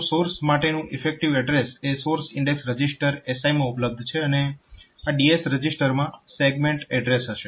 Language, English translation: Gujarati, So, for the source is available in the source index registered SI then this base address is DS DS register will contain the segment address